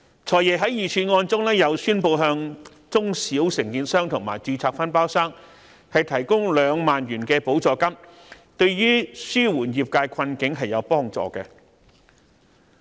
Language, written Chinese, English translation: Cantonese, "財爺"在預算案中又宣布向中小承建商及註冊分包商提供兩萬元補助金，對於紓緩業界困境是有所幫助的。, In the Budget the Financial Secretary also announced the provision of a 20,000 financial subsidy to eligible small and medium contractors and registered subcontractors to tide over the present difficulties